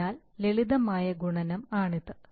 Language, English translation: Malayalam, So just simple multiplication